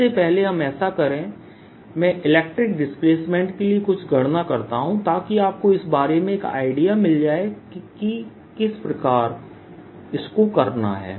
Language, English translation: Hindi, before we do that, let me now do some calculations for electric displacements so that you have an idea about what it is like